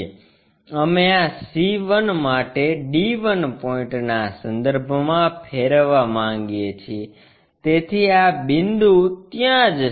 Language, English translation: Gujarati, We want to rotate about d 1 point for this c 1, so this point has to go there